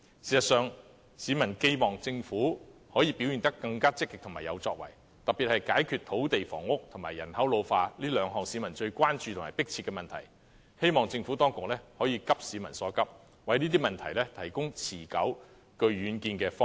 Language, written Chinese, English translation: Cantonese, 事實上，市民寄望政府可以表現得更積極和有作為，特別是解決土地房屋和人口老化這兩項市民最關注和迫切的問題，希望政府當局可以急市民所急，為這些問題提供持久、具遠見的方案。, Actually members of the public earnestly hope that the Government can act more proactively and achieve more especially in resolving the shortage of land and housing and population ageing the two pressing problems about which the people are most concerned . I hope the Administration can share the peoples urgent concern and put forward sustainable proposals with vision in respect of these problems